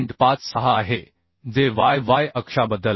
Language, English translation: Marathi, 5 mm and about y y axis is 28